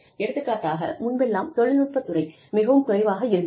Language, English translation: Tamil, For example, in the technology industry, is very less